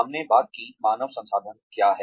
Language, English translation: Hindi, We talked about, what human resources is